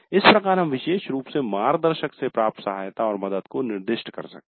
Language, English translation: Hindi, So, we could specify the help support from the guide specifically